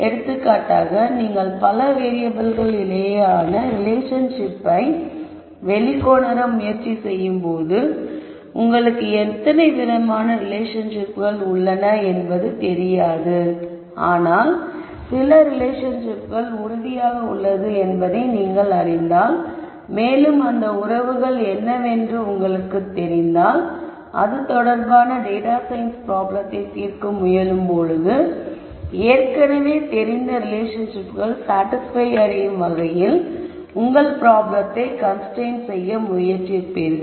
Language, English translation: Tamil, So, if for example, you are trying to uncover relationships between several variables and you do not know how many relationships are there, but you know for sure that certain relationships exist and you know what those relationships are, then when you try to solve the data science problem you would try to constrain your problem to be such that the known relationships are satisfied